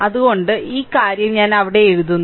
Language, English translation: Malayalam, So, this thing I am writing there